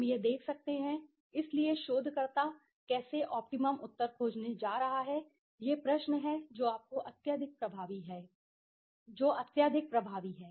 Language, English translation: Hindi, We can see that right, so how the researcher is going to find optimum answer is the question that is highly you know effective